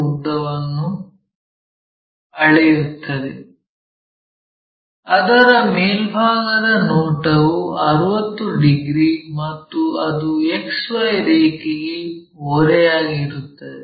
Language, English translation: Kannada, And, measures 55 mm long while it is top view is 60 degrees and it is inclined to XY line